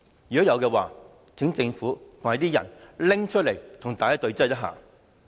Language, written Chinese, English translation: Cantonese, 如果有的話，請政府提出來與大家對質。, If there is any will the Government please come forth and confront the public